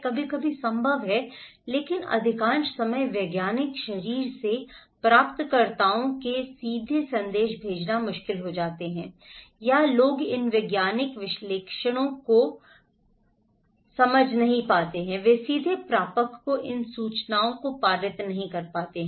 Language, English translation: Hindi, Sometimes, is possible but most of the time it is difficult to send directly the message from the scientific body to the receivers or that those who are doing these scientific analysis they cannot also pass these informations to the receiver directly